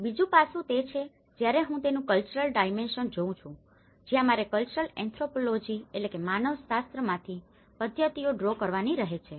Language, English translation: Gujarati, The second aspect when I am looking at the cultural dimension of it that is where I have to draw the methods from the cultural anthropology